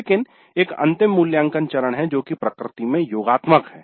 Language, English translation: Hindi, But there is a final evaluate phase which is summative in nature